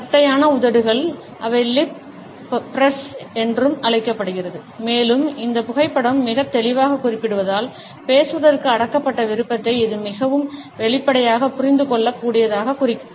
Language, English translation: Tamil, Flattened lips, which are also known as lip press and as this photograph very clearly indicates suggests a repressed desire to speak which is very obviously, understood